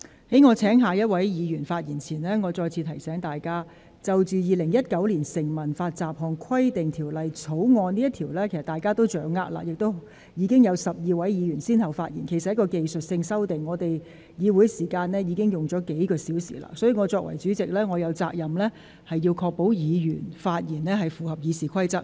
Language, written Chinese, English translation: Cantonese, 在我請下一位議員發言前，我再次提醒各位議員，對於《2019年成文法條例草案》，議員均已有所掌握，而且已有12位議員先後發言，其實《條例草案》涉及的是技術性修訂，而本會已花了數小時就此進行辯論；所以，我作為代理主席，有責任確保議員的發言符合《議事規則》。, Before I call upon the next Member to speak I would like to remind Members once again that they should have had a certain degree of understanding of the Statute Law Bill 2019 and 12 Members have so far spoken on the Bill . The amendments proposed under the Bill are in fact technical in nature and the Legislative Council has already spent several hours on this debate . Therefore in my capacity as the Deputy President I have the duty to ensure that speeches delivered by Members are in compliance with the Rules of Procedure